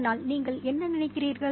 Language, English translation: Tamil, So what do you think about that